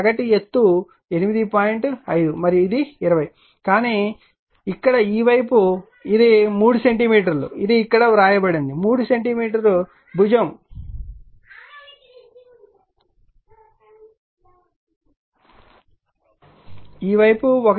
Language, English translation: Telugu, 5 and this is 20, but see here what we call it is your 3 centimeter side it is written here, 3 centimeter side with this side 1